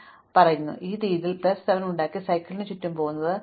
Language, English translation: Malayalam, If I have made this way plus 7 and going around the cycle will cause me plus 2